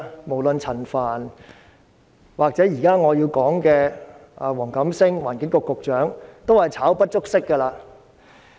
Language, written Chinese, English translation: Cantonese, 無論是陳帆或我現在想說的環境局局長黃錦星，同樣是"炒"不足惜。, Both Frank CHAN and WONG Kam - sing the Secretary for the Environment whom I am going to talk about likewise warrant dismissal